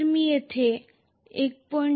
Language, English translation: Marathi, So, I should have had here 1